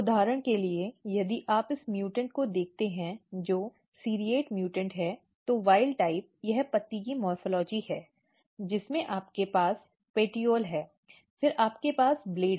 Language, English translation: Hindi, For example, if you look this mutant which is serrate mutant, so wild type this is the morphology of the leaf you have petiole, then you have the blade